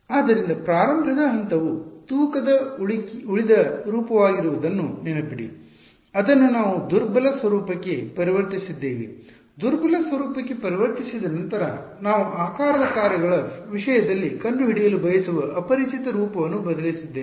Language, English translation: Kannada, So, remember as starting point was the weighted residual form we converted that to the weak form, after converting to weak form we substituted the form of the unknown that I want to find out in terms of shape functions